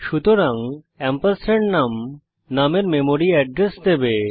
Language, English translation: Bengali, So ampersand num will give the memory address of num